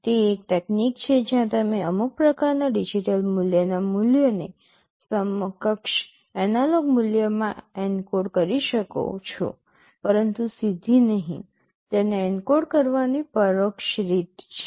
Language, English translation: Gujarati, It is a technique where you can encode the value of some kind of digital value into an equivalent analog value, but not directly; there is an indirect way of encoding it